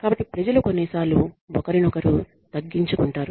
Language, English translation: Telugu, So, people tend to undercut each other sometimes